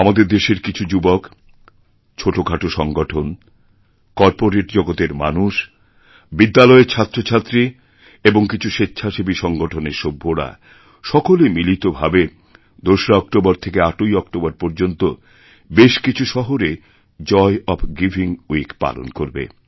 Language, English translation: Bengali, Now, many youngsters, small groups, people from the corporate world, schools and some NGOs are jointly going to organize 'Joy of Giving Week' from 2nd October to 8th October